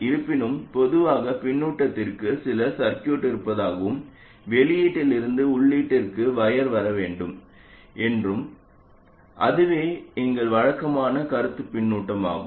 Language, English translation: Tamil, Although normally for feedback you assume that there is some circuit and there has to be a wire coming from the output to the input